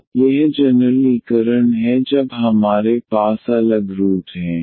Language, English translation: Hindi, So, that is the generalization when we have the distinct roots